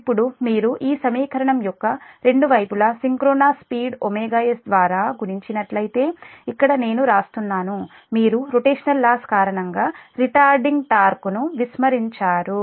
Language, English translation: Telugu, now, if you multiply both sides of this equation by omega s, the synchronous speed, so thats why here i am writing, also, here you have neglected any retarding torque due to rotational losses